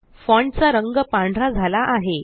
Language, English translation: Marathi, The font color changes to white